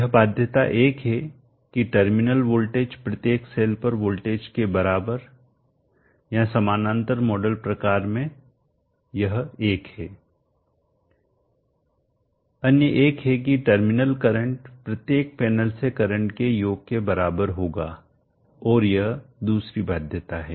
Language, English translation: Hindi, This is constraint 1 the terminal voltage is equal to the voltage across each of the cells our models kind of in parallel this is 1 the other 1 is summation of the currents from each of the panels will add up to the terminal current this is the second constraint